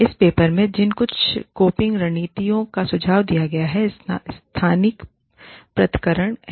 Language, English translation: Hindi, Some coping strategies, that have been suggested in this paper are, spatial separations